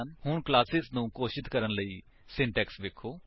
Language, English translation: Punjabi, Now, let us see the syntax for declaring classes